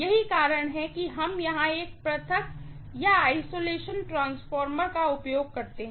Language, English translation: Hindi, That is the reason why we use an isolation transformer here